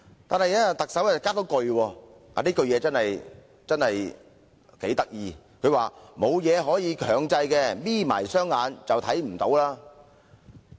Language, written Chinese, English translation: Cantonese, 不過，特首卻補充了一句很有趣的話，就是："沒有東西可以強制，'瞇'起雙眼便看不見"。, The Chief Executive however had added a very interesting remark that there is nothing mandatory in the arrangement because one cant see with half - closed eyes